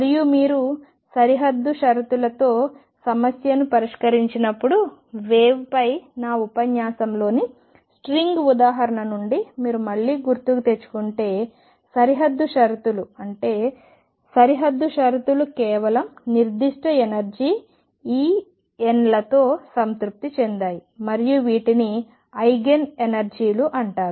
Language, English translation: Telugu, And when you solve a problem with boundary conditions if you recall again from the example of string in my lecture on waves, boundary conditions means that the boundary conditions are satisfied with only certain energies E n and these will be known as Eigen energies